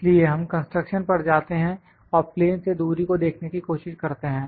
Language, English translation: Hindi, So, we go to this construction you go to the construction and try to see the distance from the plane